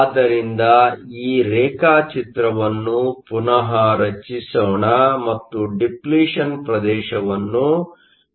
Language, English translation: Kannada, So, let me redraw this diagram and mark the depletion region